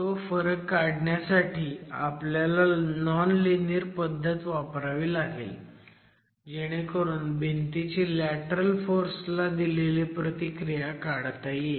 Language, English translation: Marathi, That difference can be captured only if you use a nonlinear approach to estimate the response of the wall to lateral forces